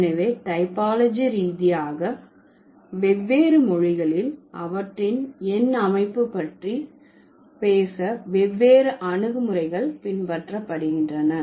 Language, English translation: Tamil, So, typologically different languages, they follow different approaches to talk about their number system